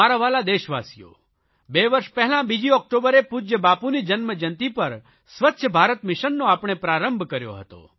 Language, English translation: Gujarati, My dear countrymen, we had launched 'Swachha Bharat Mission' two years ago on 2nd October, the birth anniversary of our revered Bapu